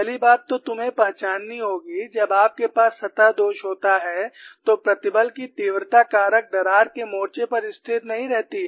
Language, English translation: Hindi, First thing you have to recognize when you have a surface flaw, stress intensity factor does not remain constant on the crack front, and it changes from point to point